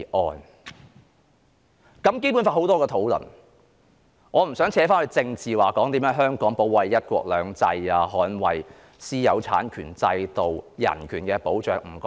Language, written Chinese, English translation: Cantonese, 他對《基本法》有很多論述，我不想扯上政治，談甚麼香港如何保衞"一國兩制"、捍衞私有產權制度及人權，我不談這些。, He has made a lot of observations on the Basic Law . I do not wish to link this with politics or talk about how Hong Kong should defend one country two systems the system of private property rights and human rights . I do not wish to talk about these things